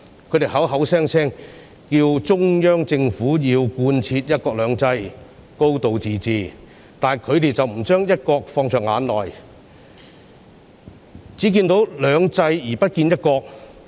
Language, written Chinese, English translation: Cantonese, 他們口口聲聲要求中央政府貫徹"一國兩制"、"高度自治"，但他們卻不把"一國"放在眼內，只看到"兩制"而不見"一國"。, They keep calling on the Central Government to adhere to one country two systems and a high degree of autonomy but they give no regard to one country . They see only two systems but not one country